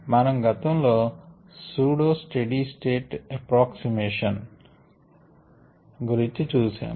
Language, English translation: Telugu, we had looked at something called pseudo steady state approximation earlier